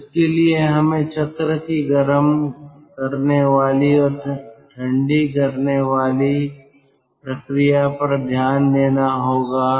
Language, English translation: Hindi, so for that we have to look into the heating and cooling process of the cycle